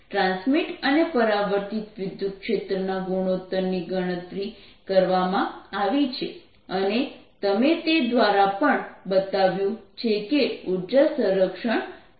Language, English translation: Gujarati, the ratios of transmitted and ah reflected electric field have been calculated and you also shown through those that energy is reconserved